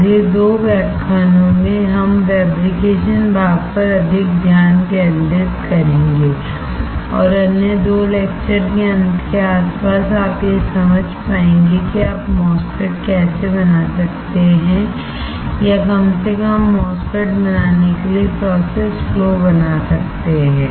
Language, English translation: Hindi, In the next 2 lectures, we will be focusing more on the fabrication part and sometime around the end of another 2 lectures, will you be able to understand how you can fabricate a MOSFET or at least draw the process flow for fabricating a MOSFET